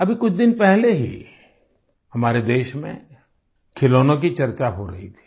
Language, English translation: Hindi, Just a few days ago, toys in our country were being discussed